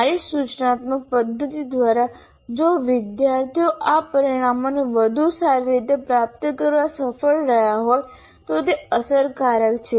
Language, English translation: Gujarati, So if I am able to, through my instructional method, if the students have been able to attain these outcomes to a better extent, then this is effective